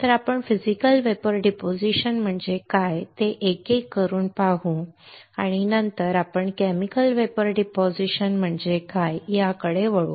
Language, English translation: Marathi, So, let us see one by one what is Physical Vapor Deposition and then we will move on to what is Chemical Vapor Deposition alright